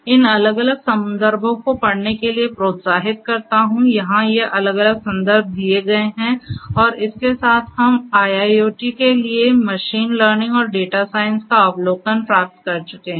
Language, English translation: Hindi, Here are these different references like before you are encouraged to go through these different references and with this we come to an end of the getting an overview of machine learning and data science for IIoT